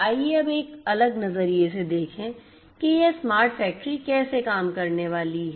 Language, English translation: Hindi, Let us now look at from a different perspective how this smart factory is going to work